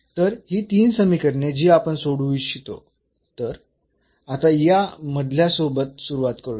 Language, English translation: Marathi, So, these 3 equations which we want to solve now which let us start with this middle one